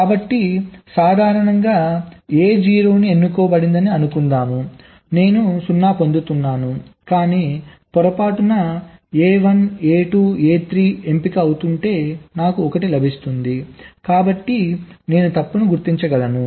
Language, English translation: Telugu, so normally a zero is suppose to be selected, i am getting zero, but if by mistake a one, a two, a three is getting selected, i will get one, so i can detect the fault